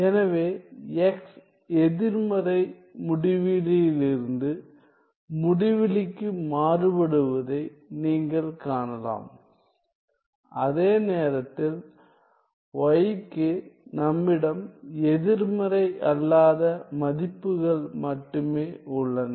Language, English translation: Tamil, So, you can see that x is varying from negative infinity to infinity while y we only have nonnegative values